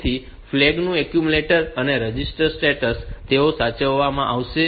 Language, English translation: Gujarati, So, accumulator and status register status of the flag